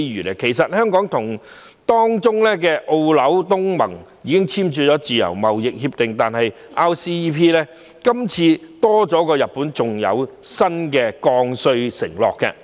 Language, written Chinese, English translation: Cantonese, 香港本身已跟成員中的澳、紐、東盟簽訂自由貿易協定，但 RCEP 今次多了日本作為成員，另有新的降稅承諾。, Although Hong Kong has already signed free trade agreements with Australia New Zealand and the Association of Southeast Asian Nations RCEP has Japan as its member and new commitments in duty reduction